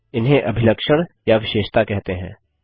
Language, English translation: Hindi, These are called characteristics or attributes